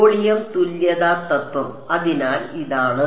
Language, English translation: Malayalam, Volume equivalence principle; so, this is